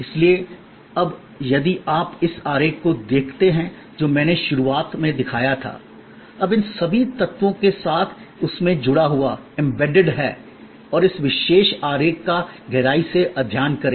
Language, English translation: Hindi, Therefore, now if you look at that same diagram that I showed in the beginning, now with all these elements embedded and study this particular diagram in depth